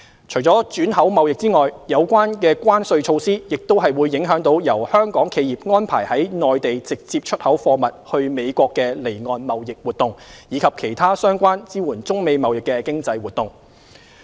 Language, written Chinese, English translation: Cantonese, 除轉口貿易外，有關關稅措施亦影響由香港企業安排由內地直接出口貨物往美國的離岸貿易活動，以及其他相關支援中美貿易的經濟活動。, Apart from re - export trade the tariff measures also affect Hong Kongs offshore trade involving goods of Mainland origin destined to the United States as well as other economic activities supporting China - US trade